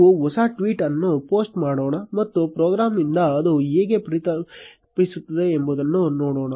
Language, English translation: Kannada, Let us post a newer tweet and see how it gets reflected by the program